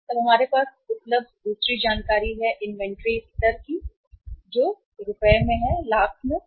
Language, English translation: Hindi, Then second information available to us was inventory level; that was in Rs, lakhs